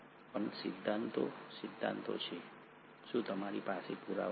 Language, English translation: Gujarati, But theories are theories, do you have evidence